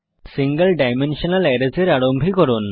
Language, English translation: Bengali, To initialize Single Dimensional Arrays